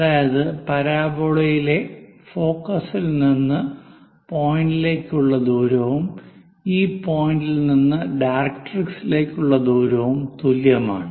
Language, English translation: Malayalam, What is the distance from focus to that point, and what is the distance from that point to directrix